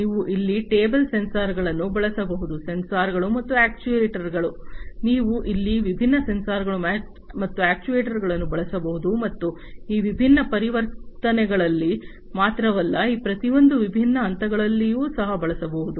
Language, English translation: Kannada, You could use table sensors over here sensors and actuators, you could use different sensors and actuators here and not only in these different transitions, but also in each of these different phases